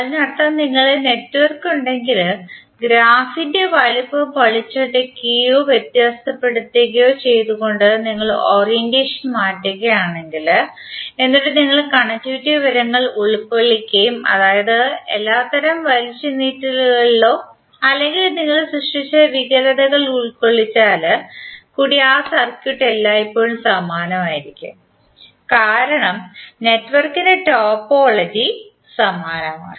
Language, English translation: Malayalam, That means that if you have the network and you change the orientation of the graph by stretching twisting or distorting its size if you keep the connectivity information intake all the different types of stretches or distort you have created with that particular circuit will always remain same because the topology of the network is same